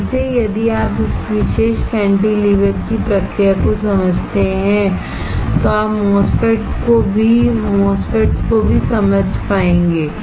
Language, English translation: Hindi, Again if you understand the process of this particular cantilever then you will be able to understand MOSFETs as well